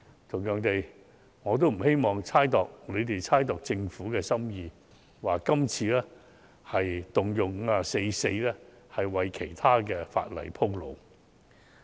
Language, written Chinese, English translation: Cantonese, 同樣地，我也不希望他們猜度政府的心意，指政府這次引用《議事規則》第544條，是為其他法例鋪路。, Similarly I also hope that they can stop speculating about the Governments motive and saying that it invokes Rule 544 of the Rules of Procedure this time around to rehearse for other pieces of legislation